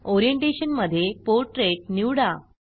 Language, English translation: Marathi, Choose Orientation as Portrait